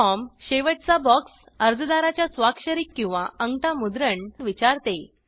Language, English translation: Marathi, The box at the end of the form, asks for the applicants signature or thumb print